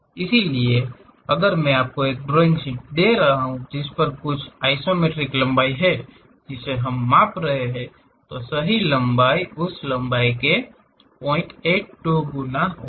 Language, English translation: Hindi, So, if I am giving you a drawing sheet on which there is something like isometric lengths which we are measuring, the true length will be 0